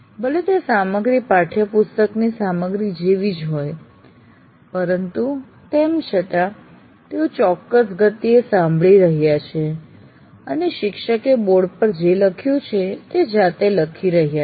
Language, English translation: Gujarati, Though that material may be very similar to the textbook material, but still you are listening at a particular pace and writing in your own hands what the teacher has written on the board